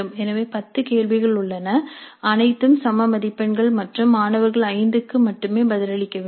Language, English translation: Tamil, The type 1 there are 8 questions, all questions carry equal marks, students are required to answer 5 full questions